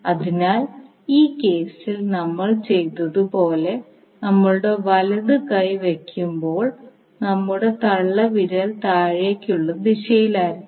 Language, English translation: Malayalam, So when you place the right hand in the similar way as we did in this case your thumb will be in the downward direction